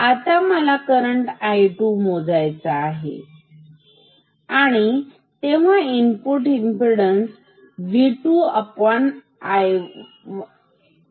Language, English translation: Marathi, So, now I have to measure this current I 2 ok, and then the input impedance will be V 2 by I 2